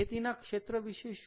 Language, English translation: Gujarati, and what about agriculture itself